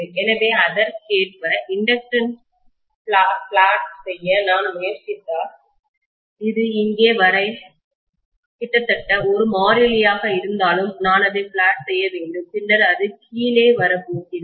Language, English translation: Tamil, So if I try to plot the inductance correspondingly, I should plot it as though it is almost a constant until here and then it is going to come down